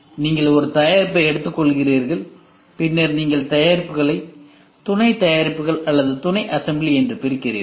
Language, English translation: Tamil, So, you take a product then you divide the product into sub products or sub assembly